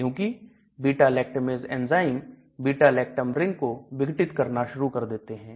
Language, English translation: Hindi, Because the beta lactamase enzyme started degrading the beta lactam ring